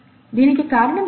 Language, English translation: Telugu, What is the process